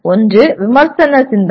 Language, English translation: Tamil, One is Critical Thinking